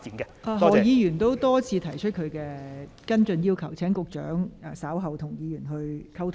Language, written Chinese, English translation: Cantonese, 何君堯議員已多次重複他要求跟進的事宜，請局長稍後與何議員再作溝通。, Dr Junius HO has repeated time and again the issue that he demanded for follow - up action; will the Secretary please further communicate with Dr HO in due course